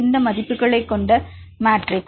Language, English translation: Tamil, What is the dimensional of this matrix